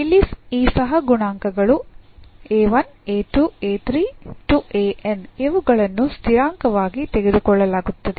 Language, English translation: Kannada, So, these coefficients here a 1, a 2, a 3, a n they are also taken as constants